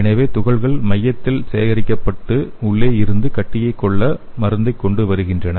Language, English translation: Tamil, So the particles can collect in the center bringing therapeutics to kill the tumor from inside out